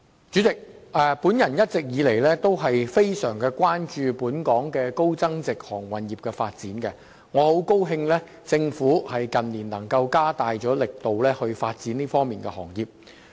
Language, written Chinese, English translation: Cantonese, 主席，我一直以來非常關注本港高增值航運服務業的發展，很高興政府近年加大力度發展這個行業。, President I am always highly concerned about the development of the high value - added maritime services in Hong Kong and I am glad to see the Government making more effort to develop this industry